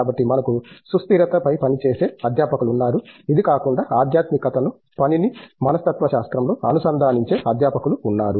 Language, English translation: Telugu, So, we have faculty of working in sustainability, apart from this we have faculty who have been integrating spirituality into psychology of work